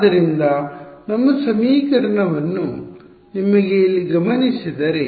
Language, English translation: Kannada, So, if you notice our equation over here